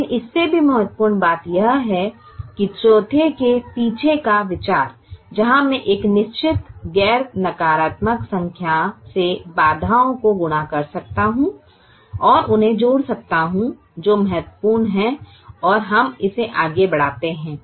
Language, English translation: Hindi, but more importantly, the idea behind the fourth one, where i can multiply the constraints by a certain non negative number and add them, is something that is important and we carry that further